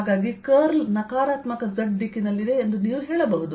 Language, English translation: Kannada, that curl is in the negative z direction